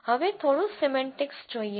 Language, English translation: Gujarati, Just a little bit of semantics